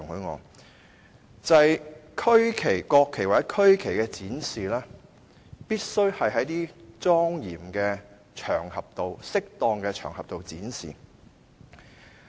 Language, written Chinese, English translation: Cantonese, 國旗或區旗必須在莊嚴及適當的場合中展示。, The national flag or the regional flag must be displayed on solemn and appropriate occasions